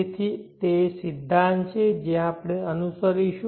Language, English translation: Gujarati, So what is the principle that we are going to follow